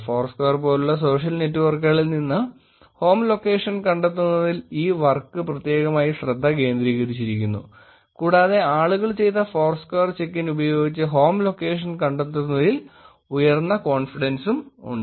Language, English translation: Malayalam, This work is specifically focused on finding out the home location from social networks like foursquare, and there was a high confidence in finding out the home location with the foursquare check ins that people have done